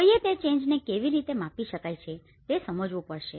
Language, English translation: Gujarati, One has to understand that how one can measure that change